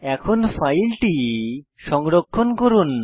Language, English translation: Bengali, Lets save the file now